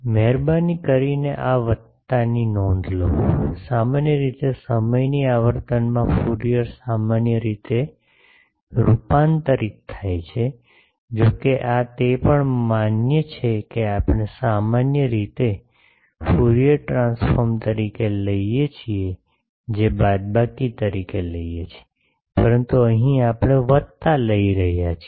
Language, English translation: Gujarati, Please note this plus, generally in time frequency Fourier transform generally, though this is also valid that we generally take this as the Fourier transform we take as minus, but here we are taking plus